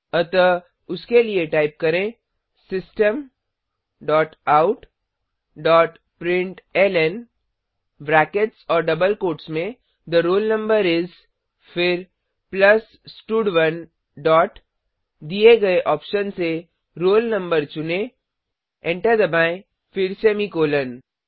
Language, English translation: Hindi, So for that type System dot out dot println within brackets and double quotes, The roll number is, then plus stud1 dot from the option provided select roll no press Enter then semicolon